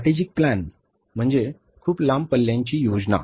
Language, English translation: Marathi, Strategic plan means is a very long range plan